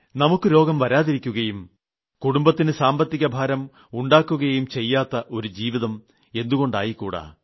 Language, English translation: Malayalam, Why can't we lead life in such a way that we don't ever fall sick and no financial burden falls upon the family